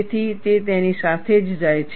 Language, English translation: Gujarati, So, it goes with that